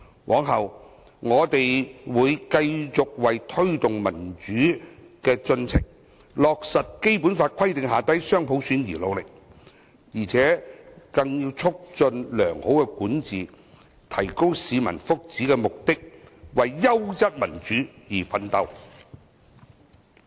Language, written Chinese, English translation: Cantonese, 往後，我們會繼續為推動民主進程，落實《基本法》規定的雙普選而努力，並為促進良好管治、提高市民福祉，實行優質民主而奮鬥。, In future we will continue to work hard to promote the democratic process implement dual universal suffrage as prescribed in the Basic Law and strive for promoting good governance enhancing the well - being of the public and implementing quality democracy